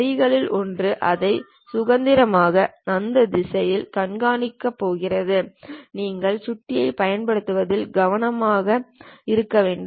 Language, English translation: Tamil, One of the line is is going to show it in normal to that direction you have to be careful in using mouse